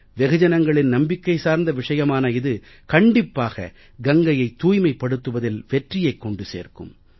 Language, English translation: Tamil, " This faith and hope of the common people is going to ensure success in the cleaning of Ganga